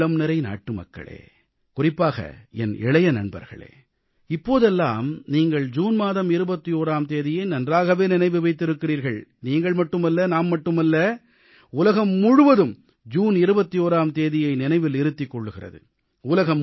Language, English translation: Tamil, My dear countrymen and especially my young friends, you do remember the 21stof June now;not only you and I, June 21stremains a part of the entire world's collective consciousness